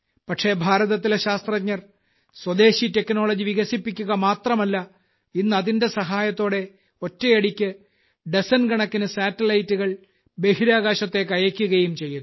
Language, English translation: Malayalam, But the scientists of India not only developed indigenous technology, but today with the help of it, dozens of satellites are being sent to space simultaneously